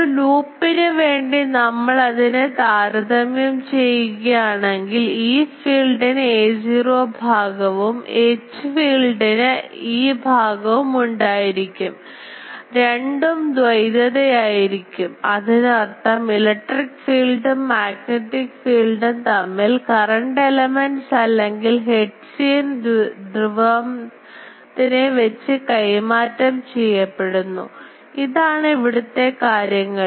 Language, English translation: Malayalam, So, if you just compare that now the for a loop; the e field has a phi component and H filed it has a theta component just dual 2; that means, electric and magnetic field got just interchange with respect to the current element or hertzian dipole, but since these are things